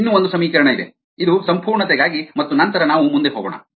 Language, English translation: Kannada, one more equation, this were completeness, and then we will go forward